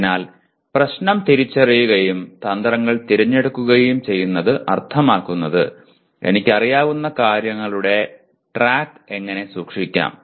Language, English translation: Malayalam, So identifying the problem and choosing strategies would mean how can I keep track of what I know